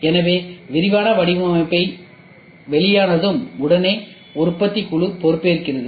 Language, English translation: Tamil, So, once the detailed design is released, then immediately manufacturing team takes over